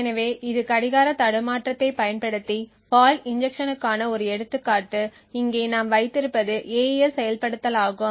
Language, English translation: Tamil, So this is an example of fault injection using clock glitching so what we have here is an AES implementation